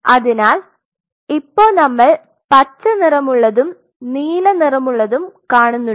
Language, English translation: Malayalam, So, we see green colored blue colored